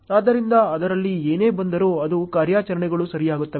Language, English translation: Kannada, So, whatever comes in it just does it’s operations ok